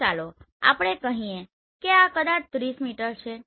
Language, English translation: Gujarati, So maybe let us say this is maybe 30 meter right so this is 30 meter